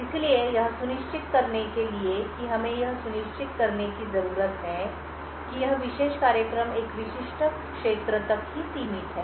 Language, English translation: Hindi, So, what we needed to ensure was that we needed to ensure that this particular program is confined to a specific area